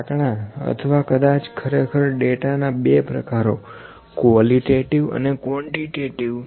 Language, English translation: Gujarati, The numbers or maybe actually the two types of data qualitative and quantitative data